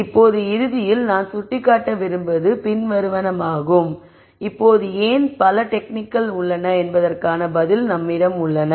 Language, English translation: Tamil, Now ultimately what I want to point out is the following now we have an answer for why there are so many methods